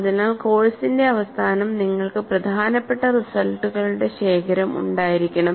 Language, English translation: Malayalam, So, at the end of the course you should have rich collection of important results